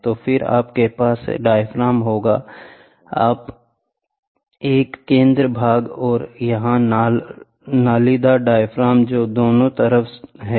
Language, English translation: Hindi, So, then you will have yeah diaphragm this is a center portion and here are the corrugated diaphragms which are there on both sides